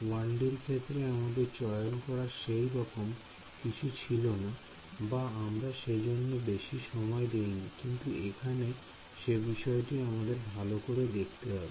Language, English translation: Bengali, We did not have much of a choice in the case of 1D or we did not spend too much time on it but so, we will have a look at it over here